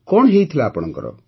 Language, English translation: Odia, What had happened to you